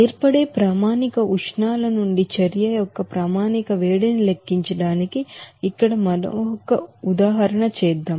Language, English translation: Telugu, Let us do another example here to calculate the standard heat of reaction from the standard heats of formation